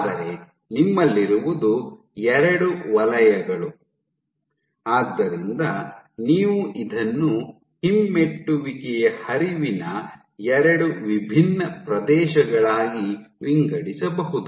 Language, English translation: Kannada, But what you have two zones so you can segregate this entire thing into two distinct regions of retrograde flow